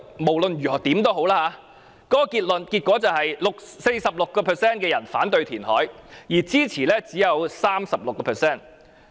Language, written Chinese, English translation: Cantonese, 無論如何，該調查結果顯示 ，46% 受訪者反對填海，而支持者只有 36%。, Anyway the results of the survey indicate that 46 % of the respondents opposed reclamation and only 36 % rendered support